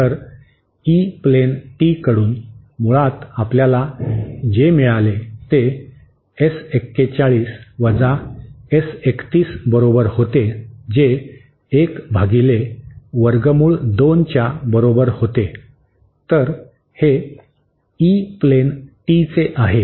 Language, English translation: Marathi, So, from the E plane tee, basically what we got was S 41 is equal to S 31 which is equal to 1 upon square root of 2, so this is from the E plane tee